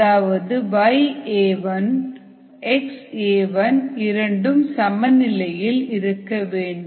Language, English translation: Tamil, two, the y a i and x a i are at equilibrium